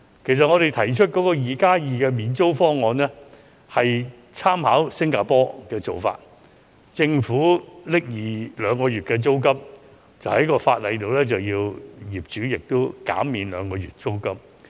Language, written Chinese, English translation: Cantonese, 其實，我們提出的 "2+2" 免租方案，是參考了新加坡的做法。由政府支付兩個月租金，並在法例上規定業主同時減免兩個月租金。, In fact under our 2 plus 2 rent waiver proposal which has drawn reference from Singapores practice the Government will pay two months rental and the landlords will be required by law to waive another two months rental